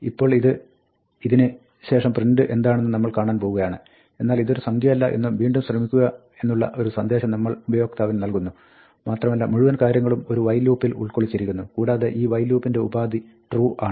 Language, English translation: Malayalam, Now, we are going to see print just after this, but we print a message to the user, saying this is not a number, try again and this is now, the whole thing is enclosed inside a while loop and this while loop has a condition True